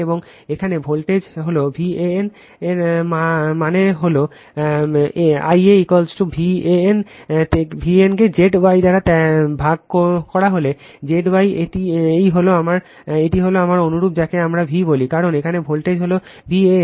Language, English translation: Bengali, And voltage here it is V AN right that means, my I a is equal to my v an right divided by Z star that is Z Y this is my this is my your what we call V, because voltage here is a V AN